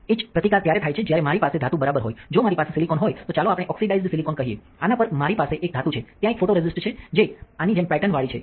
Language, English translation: Gujarati, Etch resistance is when if I have a metal right if I have silicon let us say oxidized silicon on this I have a metal on this there is a photoresist which is patterned like this ok